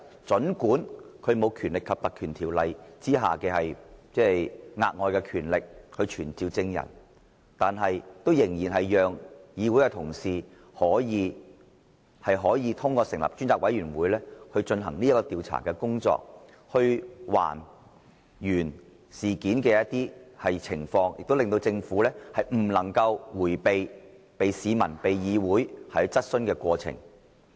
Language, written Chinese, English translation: Cantonese, 儘管這調查機制不能根據《立法會條例》享有額外權力去傳召證人，但它仍然讓議員透過成立專責委員會，進行調查，還原事件的情況，亦令政府不能夠迴避，接受市民和議會的質詢。, Despite lacking the extra authority to summon witnesses under the Legislative Council Ordinance this investigation mechanism still enables Members to investigate the incidents and try to retrieve the facts by setting up select committees thereby pressing the Government to face the questions raised by the people and the Council without dodging from them